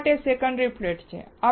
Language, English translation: Gujarati, Why there is a secondary flat